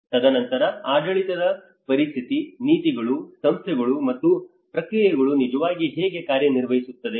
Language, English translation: Kannada, And then the governance situation, the policies, institutions and the processes how they actually work